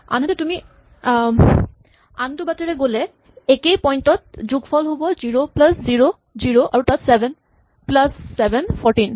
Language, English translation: Assamese, On the other hand, if you go the other way then the sum at this point is 0 plus 0 is 0, and the sum over here is 7 plus 7 is 14